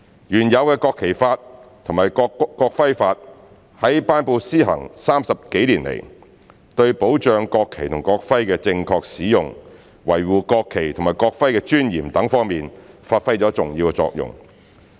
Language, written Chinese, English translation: Cantonese, 原有的《國旗法》及《國徽法》在頒布施行30多年來，對保障國旗及國徽的正確使用，維護國旗及國徽的尊嚴等方面發揮了重要作用。, The existing National Flag Law and National Emblem Law have been enacted and come into effect for more than 30 years and have played an important role in safeguarding the proper use and preserving the dignity of the national flag and the national emblem